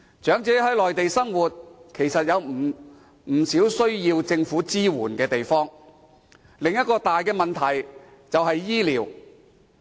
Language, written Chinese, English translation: Cantonese, 長者在內地生活，其實有不少需要政府支援的地方，而另一個大問題就是醫療。, The elderly residing in the Mainland actually require much assistance from the Government and one major issue is medical care